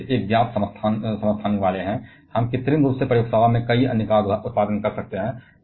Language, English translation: Hindi, They are having just one known isotopes, we can artificially produce several others in the laboratory